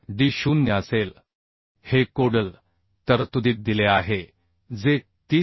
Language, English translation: Marathi, 7d0 this is given in the codal provision that is 30